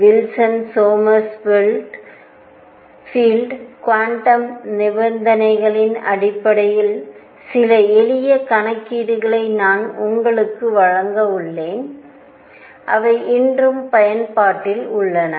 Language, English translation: Tamil, Calculations, I am going to give you some simple calculations based on Wilson Sommerfeld quantum conditions which are in use today also